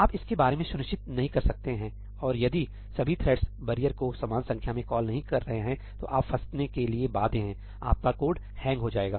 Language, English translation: Hindi, You cannot be sure about that and if all the threads are not calling barrier equal number of times, then you are bound to get stuck, your code will hang